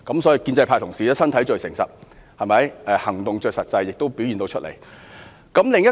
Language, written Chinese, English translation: Cantonese, 所以，建制派同事的身體最誠實，行動最實際，全都表現出來了。, Therefore Honourable colleagues of the pro - establishment camp are most honest in their deeds . It is only practical to take action . It has been fully illustrated